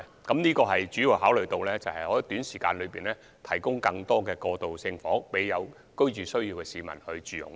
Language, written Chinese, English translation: Cantonese, 我們主要考慮的，是希望在短時間內提供更多過渡性房屋予有居住需要的市民住用。, Our major consideration is to provide more transitional housing shortly to people with housing needs